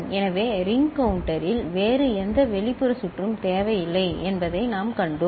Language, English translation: Tamil, So, in ring counter, we saw that no other external circuit is required